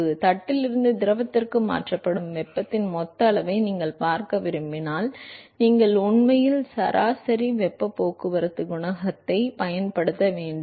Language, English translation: Tamil, So, if you want to look at the total amount of heat that is transferred from the plate to the fluid, you should actually use the average heat transport coefficient